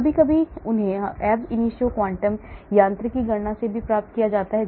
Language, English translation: Hindi, Sometimes they are also got from ab initio quantum mechanics calculation